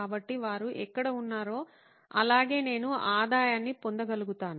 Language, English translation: Telugu, So they can be where they are and still I should be able to get revenue